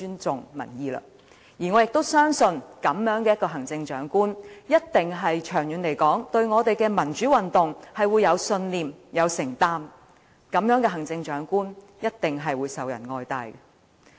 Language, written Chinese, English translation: Cantonese, 所以，我相信，如果一位行政長官不害怕落區和尊重民意，他會是對民主運動具有信念和長遠承擔的；這樣的行政長官，一定受人愛戴。, For that reason I believe that if a Chief Executive is not afraid of visiting the districts and if he or she respects public opinions he or she must be a person with democratic conviction and long - term commitment to democratic movements . Such a Chief Executive will be loved and respected by the people